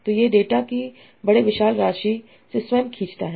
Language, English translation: Hindi, So it learns on its own from the huge amount of data